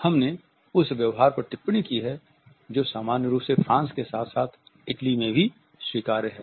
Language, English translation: Hindi, We have commented on the behavior which is normally acceptable in France as well as in Italy